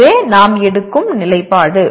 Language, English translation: Tamil, This is the position we are taking